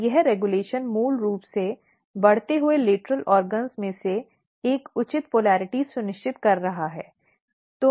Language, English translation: Hindi, And this regulation is basically ensuring a proper polarity in the growing lateral organs